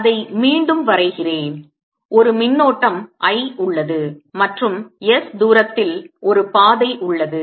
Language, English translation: Tamil, drawing it again, going is the current i and there is a path and distance s